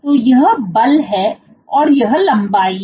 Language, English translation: Hindi, So, this is the force this is the length